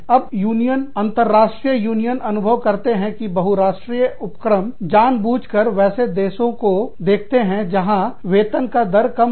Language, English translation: Hindi, Now, the unions, the international unions feel, that multi national enterprises, deliberately look for work in countries, where the wage rates are low